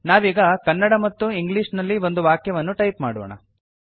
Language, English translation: Kannada, We will now type a sentence in Kannada and English